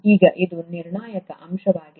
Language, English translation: Kannada, Now this is a crucial point